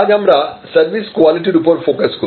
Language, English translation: Bengali, Today let us focus on service quality